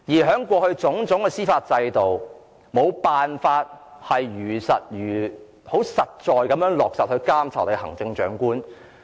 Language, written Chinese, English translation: Cantonese, 在我們的司法制度下，我們過去無法切實監察行政長官。, Under our judicial system we could not practically monitor the Chief Executive in the past